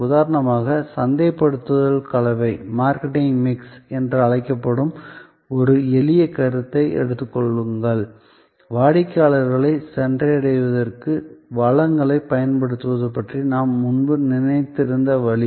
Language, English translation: Tamil, Take for example a simple concept, which is called the marketing mix, the way earlier we thought of deployment of resources for reaching out to customers